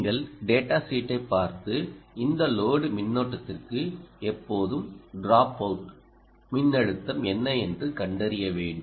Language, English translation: Tamil, ah, you have to look at the data sheet and always discover for this load current what is the dropout voltage